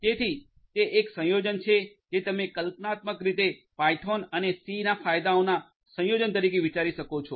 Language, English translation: Gujarati, So, it is a combination of you can think of conceptually as a combination of benefits from python and c